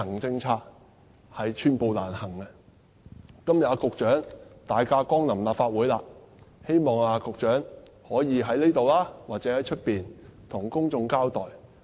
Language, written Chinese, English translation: Cantonese, 今天局長大駕光臨立法會，希望局長可以在這裏或在外面向公眾交代。, I hope the Secretary who is present in this Council today can give an account to the public here or outside the Chamber